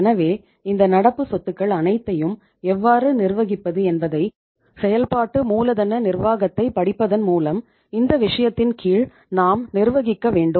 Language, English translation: Tamil, So we should manage under this subject by studying the working capital management how to manage all these current assets